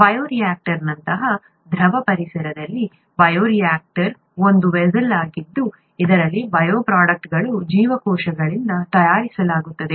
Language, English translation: Kannada, In a fluid environment such as a bioreactor; bioreactor is a vessel in which bioproducts are made by cells